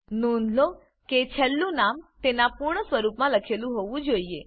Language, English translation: Gujarati, Note that the last name must be written in its full form